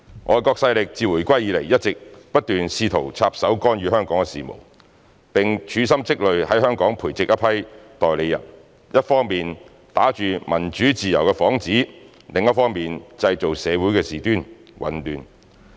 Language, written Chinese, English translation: Cantonese, 外國勢力自回歸以來一直不斷試圖插手干預香港事務，並處心積慮在港培植一批代理人，一方面打着民主自由的幌子，另一方面製造社會事端、混亂。, Since the reunification foreign forces have all along attempted to interfere in the affairs in Hong Kong and have nurtured a group of agents under careful planning to stir up troubles and create chaos in society under the guise of democracy and freedom